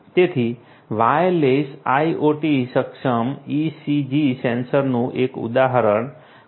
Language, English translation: Gujarati, So, one example of a wireless IoT enabled ECG sensor is QardioCore